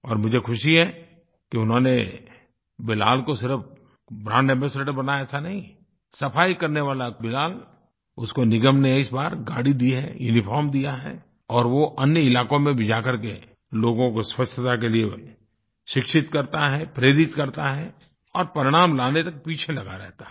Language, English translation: Hindi, And I am glad that they have not only appointed Bilal as their ambassador but also given him a vehicle, and also a uniform and he goes to other areas and educates people about cleanliness and inspires them and keeps tracking them till results are achieved